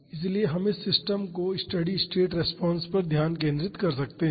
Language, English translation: Hindi, So, we can focus on the steady state response of this system